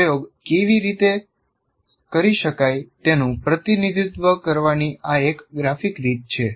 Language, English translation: Gujarati, So this is one graphic way of representing how an experiment can be done